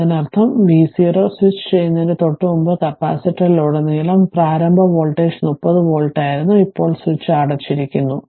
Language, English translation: Malayalam, That means, just before switching v 0 minus, the voltage that initial voltage across the capacitor was 30 volt, now switch is closed right